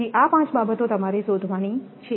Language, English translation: Gujarati, So, these five things you have to determine